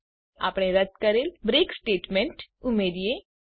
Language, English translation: Gujarati, Let us now add the break statement we have removed